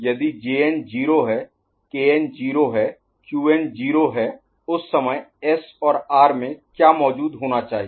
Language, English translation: Hindi, If Jn is 0, Kn is 0, Qn is 0 at that time ok, what should be present at S and R